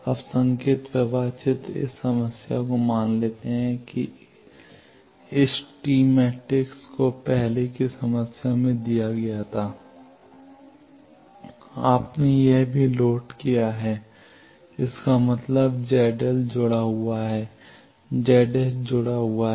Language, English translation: Hindi, Now, the signal flow graph this problem that suppose this tee matrix was given in an earlier problem also you have also loaded thing that means, Z d L is connected Z d S is connected